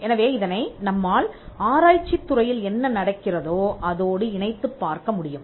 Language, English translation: Tamil, So, we can relate this easily with what is happening in research